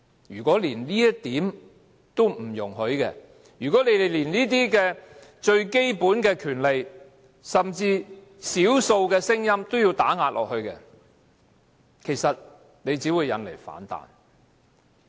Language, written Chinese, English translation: Cantonese, 如果連這一點也不容許，連這些最基本的權利，甚至是少數的聲音也要打壓，其實只會引來反彈。, If they cannot even allow this if they even want to suppress this fundamental right and minority voices negative reaction will result